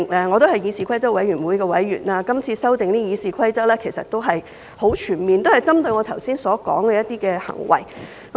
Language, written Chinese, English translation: Cantonese, 我也是議事規則委員會的委員，今次《議事規則》的修訂其實十分全面，也針對了我剛才所說的一些行為。, I am also a member of the Committee on Rules of Procedure . The amendment of the Rules of Procedure this time around is actually very comprehensive and it seeks to address certain acts I mentioned just now